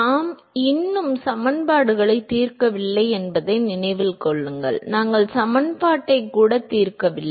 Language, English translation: Tamil, Remember we have not solved the equations yet, we have not even solved the equation